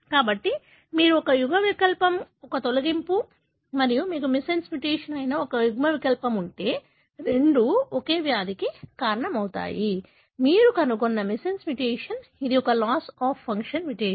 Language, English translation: Telugu, So, if you have an allele that is a deletion allele and if you have an allele that is missense mutation, both of them are resulting in the same disease, likely that the missense mutation that you found also is a loss of function mutation